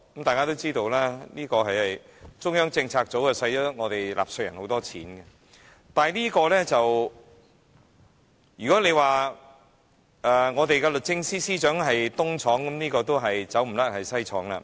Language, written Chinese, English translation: Cantonese, 大家都知道中策組耗用納稅人巨款，如果說律政司司長是"東廠"，那麼中策組必然是"西廠"了。, We all know that CPU uses huge amounts of taxpayers money . If the Department of Justice is the East Depot then CPU must be the West Depot